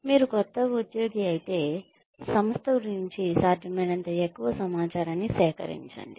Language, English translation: Telugu, If you are a new employee, collect as much information, about the organization as possible